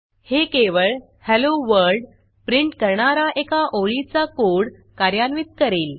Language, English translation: Marathi, That should execute only that 1 single line of the code to print Hello World